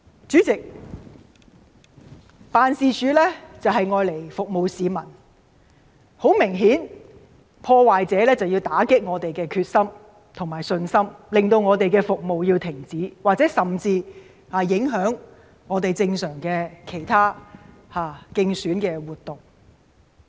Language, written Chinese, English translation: Cantonese, 主席，地區辦事處的用途是服務市民，而明顯地，破壞者便是想打擊我們的決心和信心，令我們的服務停止，甚至影響我們的正常競選活動。, They are not simply vandalized; they are squirted with water and set on fire . President the purpose of setting up these offices is to serve the public . And obviously vandals want to shake our determination and confidence and to stop our services; or even to affect our normal election campaign activities